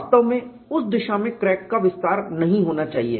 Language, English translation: Hindi, In fact, crack should not extend in a direction